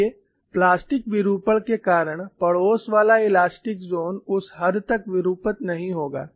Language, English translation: Hindi, See, because of plastic deformation you have the neighboring elastic region will refuse to deform to that extent